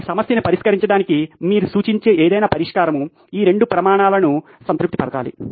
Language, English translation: Telugu, Any solution that you suggest to solve this problem has to satisfy both these criteria